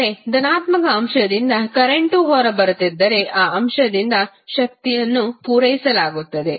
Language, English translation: Kannada, But, if the current is coming out of the positive element the power is being supplied by that element